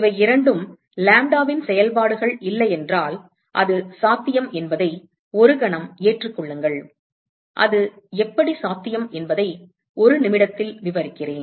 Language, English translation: Tamil, If both these are not functions of lambda, just accept for a moment that it can it is possible, and I will describe you in a minute, how it is possible